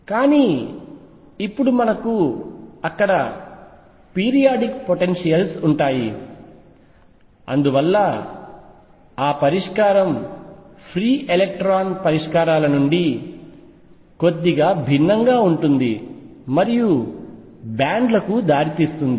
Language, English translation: Telugu, But now we will have periodic potentials there, and therefore that solution differs slightly from the free electron solutions and gives rise to bands